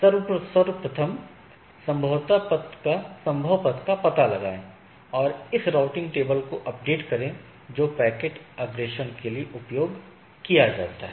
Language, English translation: Hindi, Find out the best possible path and update this routing table which is used by the packet forwarding